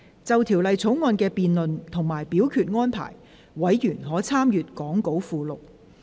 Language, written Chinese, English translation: Cantonese, 就《條例草案》的辯論及表決安排，委員可參閱講稿附錄。, Members may refer to the Appendix to the Script for the debate and voting arrangements for the Bill